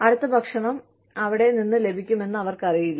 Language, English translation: Malayalam, They do not know, where the next meal is, going to come from